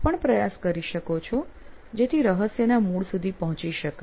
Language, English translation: Gujarati, And you can try that as well to get to the bottom of the mystery